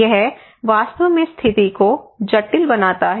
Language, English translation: Hindi, it actually makes the situation complex